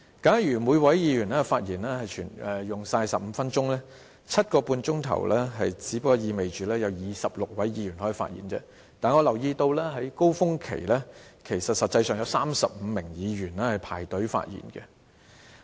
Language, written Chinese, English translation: Cantonese, 假如每位議員發言用盡15分鐘 ，7.5 小時只不過意味有26位議員可以發言，但我留意到在高峰期有35名議員輪候發言。, If each Member uses up all the 15 minutes of speaking time 7.5 hours means that only 26 Members can speak . But I noticed that during the peak period 35 Members were queuing for their turn to speak